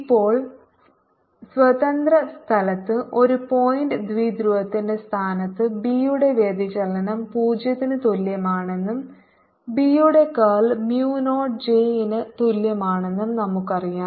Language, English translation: Malayalam, now, in case of a point dipole placed in free space, we know divergence of b equal to zero and curl of b is equal to mu zero j